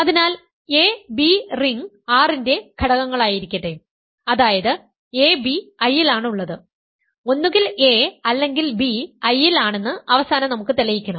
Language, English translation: Malayalam, So, let a comma b be elements of the ring R such that ab is in I, we will want to prove at the end of the prove that either a is in I or b is in I